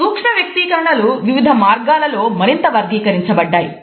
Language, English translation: Telugu, Micro expressions are further classified in various ways